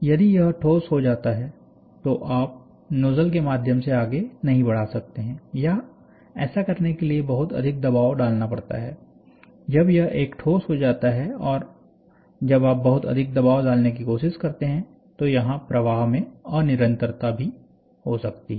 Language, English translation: Hindi, So, if it is become solid, then you cannot push through the nozzle or if it become solid you have to apply lot of pressure to push through the nozzle, when it becomes a solid and when you try to apply a lot of pressure, there can be at discontinuity in the flow even